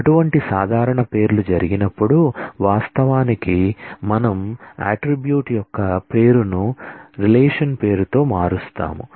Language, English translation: Telugu, So, when the, such common names happen then we actually change the name of the attribute with the name of the relation